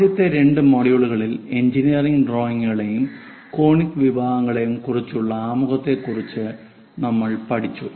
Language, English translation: Malayalam, In the first two modules, we have learned about introduction to engineering drawings and conic sections